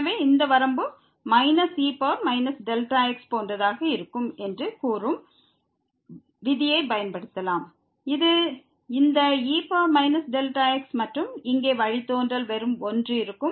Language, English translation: Tamil, So, we can apply the rule which says that this limit will be like minus power here minus delta , the derivative of this e power minus delta and the derivative here will be just 1